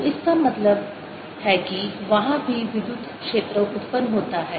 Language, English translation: Hindi, so that means electrical generator there also